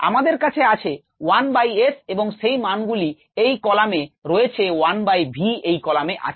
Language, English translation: Bengali, yes, we have one by s the values on this column, and one by v, the values on this column